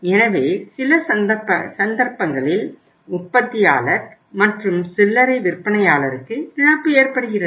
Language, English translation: Tamil, So it means some cases there is a loss to the manufacturer and retailer both